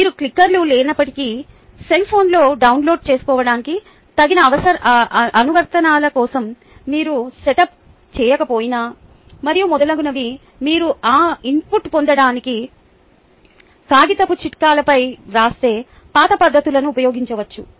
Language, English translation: Telugu, even if you dont have clickers, even if you are ah, even if you are not set up for the appropriate apps to be downloaded on the cell phones and so on, so forth, you could use the old ah methods of writing on chits of paper to get that input